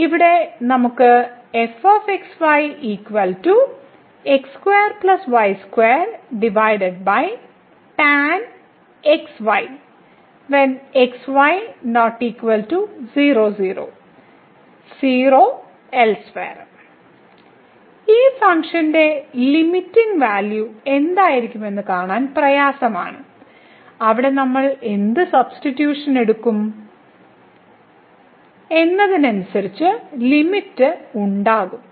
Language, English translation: Malayalam, So, looking at this function is a difficult to see that what will be the limiting value where the limit will exist on what substitution we should make